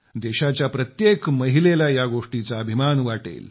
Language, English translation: Marathi, Every woman of the country will feel proud at that